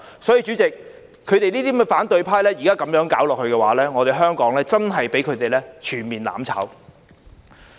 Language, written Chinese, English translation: Cantonese, 所以，主席，現在這些反對派這樣搞下去，香港真的會被他們全面"攬炒"。, Therefore President if these people in the opposition camp will go on wreaking havoc like this Hong Kong would really be doomed to the fate of mutual destruction on all fronts